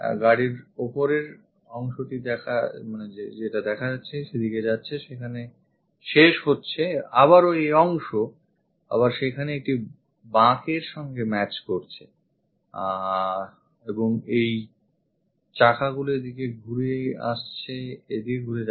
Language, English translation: Bengali, The top portion of the car goes there, it ends there, again this portion matches there an incline and this wheels turns out to be here